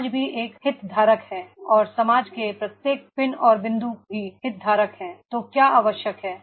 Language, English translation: Hindi, Society is also a stakeholder and every pin and point of the society and they are the stakeholders, so what is required